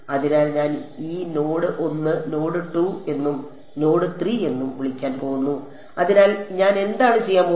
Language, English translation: Malayalam, So, I am going to call this node 1 node 2 and node 3